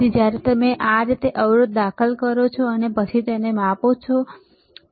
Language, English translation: Gujarati, So, when you insert the resistor like this, and then you measure it, right